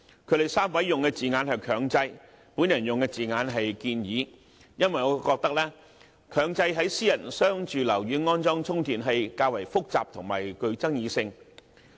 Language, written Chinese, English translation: Cantonese, 他們3位所用的字眼是"強制"，我所用的字眼是"建議"，因為我認為強制在商住樓宇安裝充電器較為複雜和具爭議性。, The three Members use the word mandate while I used propose instead because in my opinion mandating installation of charging facilities in commercial and residential buildings is quite a complicated matter and can be rather controversial